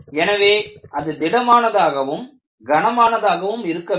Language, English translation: Tamil, So, it should be sturdy and heavy